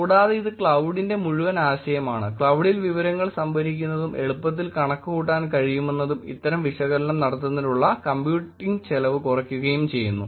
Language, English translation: Malayalam, And also this is whole idea of cloud, storing information on the cloud, easily able to compute, computing cost is becoming lower and lower for doing any of these analysis